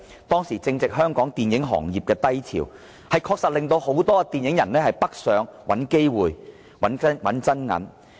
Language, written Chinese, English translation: Cantonese, 當時正值香港電影行業的低潮，有關政策確實令大量電影人北上找機會、賺真銀。, It so happened that the Hong Kong film industry was at a low ebb back then so CEPA could indeed enable many Hong Kong film workers to seek opportunities and make big money in the Mainland